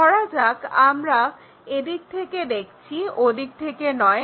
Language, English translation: Bengali, For example, we are looking from this direction not in that direction